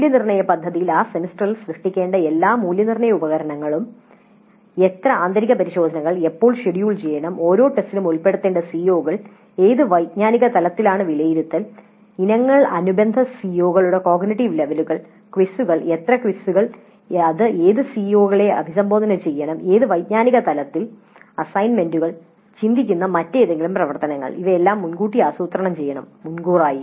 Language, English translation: Malayalam, So the assessment plan must include which are all the assessment instruments that are to be created during that semester, how many internal tests when they have to be scheduled, which are the COs to be covered by each test at what level, at what cognitive level the assessment items must be there vis a vis the cognitive levels of the related COs